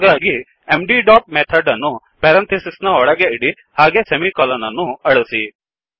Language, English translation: Kannada, So put md dot method inside the parentheses remove the semi colon